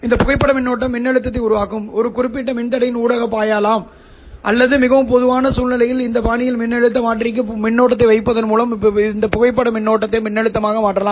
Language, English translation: Tamil, This photo current can flow through a certain resistor generating the voltage or you can in the more common scenario you can actually convert this photo current into a voltage by putting a current to voltage converter in this fashion